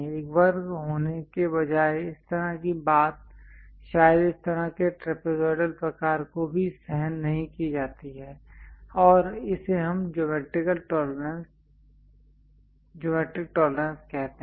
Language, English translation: Hindi, Such kind of thing instead of having a square perhaps this trapezoidal kind of thing is also tolerated and that is what we call geometric tolerances